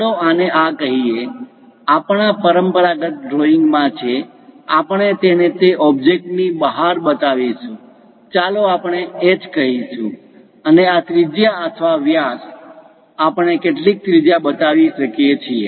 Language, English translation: Gujarati, Let us call this one this; our convention is in drawing we will show it exterior to that object, let us call H and this one radius or diameter we can show some radius